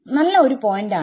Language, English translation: Malayalam, Yeah good point